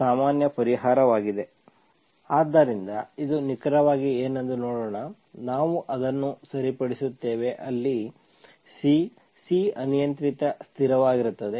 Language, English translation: Kannada, So let us see what exactly this is, we fix that, where C is, C is arbitrary constant